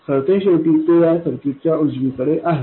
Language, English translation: Marathi, After all, it is to the right side of this circuit